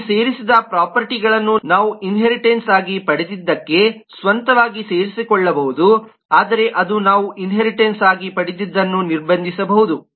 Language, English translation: Kannada, these added properties could be adding own to what we inherited, but it barred, it could restrict in terms of what we have inherited